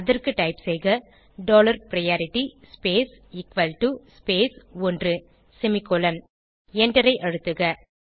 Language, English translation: Tamil, For this type dollar priority space equal to space one semicolon and press Enter